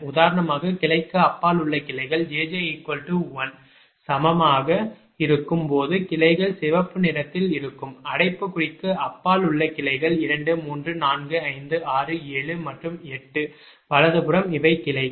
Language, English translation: Tamil, so, for example, branches beyond branch jj: right, when branch jj is equal to one, branch jj is equal to these are the branches beyond, in the bracket that is in red color: two, three, four, five, six, seven and eight, right, these are the branches